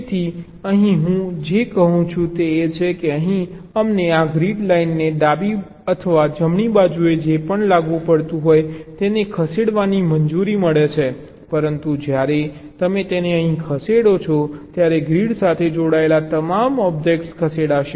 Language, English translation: Gujarati, so here what i am saying is that here we are allowed to move this grid lines to the left or to the right, whatever is applicable, but when you move it here, all the objects which are attached to the grid, they will all move simultaneously this grid line